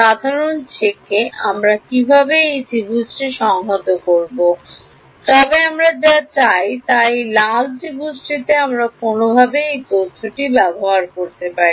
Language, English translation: Bengali, Simple check we know how to integrate this triangle, but what we want is this red triangle can we make use of this information somehow